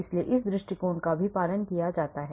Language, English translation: Hindi, so this approach is also followed